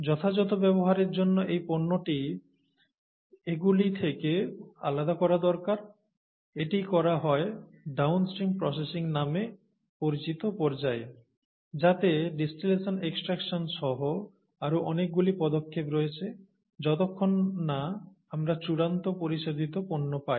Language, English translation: Bengali, So, this product needs to be separated out from all this to be able, for it's proper use, and that is done by what are called the downstream processing steps, a large number of steps, including distillation extraction and so on and so forth, till we get the final purified product, okay